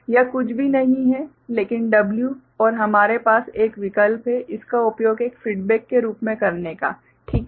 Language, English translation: Hindi, This is nothing, but W right and we have an option of using this as a feedback, right